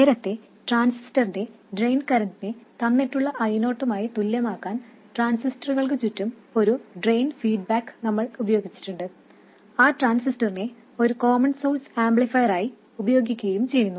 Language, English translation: Malayalam, Earlier we have used a drain feedback around a transistor to set the transistor drain current to be equal to some given current i0 and use the transistor as a common source amplifier